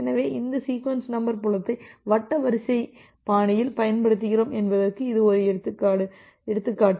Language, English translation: Tamil, So, this is a example where we are using this sequence number field in a circular queue fashion